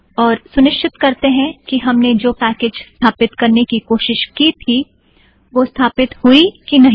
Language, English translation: Hindi, And then we will just check whether the packages that we tried to install are already installed